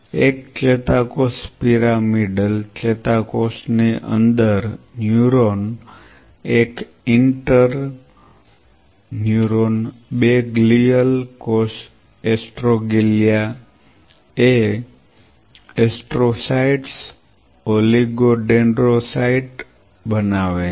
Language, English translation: Gujarati, One, neuron within neuron pyramidal neuron one, inter neuron 2 glial cell astroglia making astrocytes oligo dendrocytes